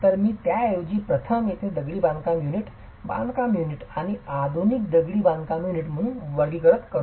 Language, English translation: Marathi, So I would rather classify these as ancient masonry units, construction units, and modern masonry construction units in the first place